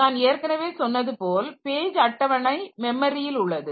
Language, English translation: Tamil, So, as I said that page table is in memory